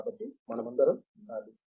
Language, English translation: Telugu, So, therefore, we should all